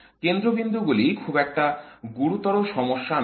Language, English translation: Bengali, The nodes are not a serious problem